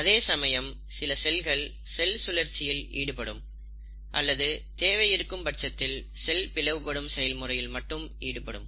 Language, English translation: Tamil, But then, there are certain cells which undergo cell cycle or cell division only if there’s a demand